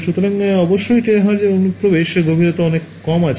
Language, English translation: Bengali, So, terahertz of course, has much less penetration depth